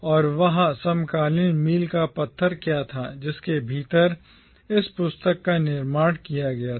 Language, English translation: Hindi, And what was that contemporary milieu within which this book was produced